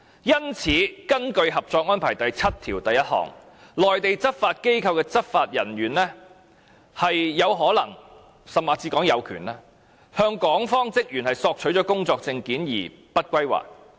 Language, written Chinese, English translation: Cantonese, 因此，根據《合作安排》第七1條，內地執法機構的執法人員有可能，甚至是有權向港方職員索取工作證件而不歸還。, Hence according to Article 71 of the Co - operation Arrangement it is possible that law enforcement officers of Mainland law enforcement agencies may request work permits from personnel of the Hong Kong authorities and do not return them and they may indeed have the power to do that